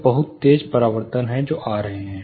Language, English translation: Hindi, So, there is a very sharp reflection which is coming